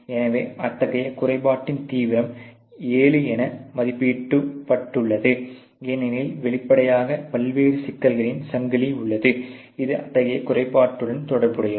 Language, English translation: Tamil, So, the severity of such defect has been rated as seven, because obviously there is a chain of different problems, which is associated with such a defect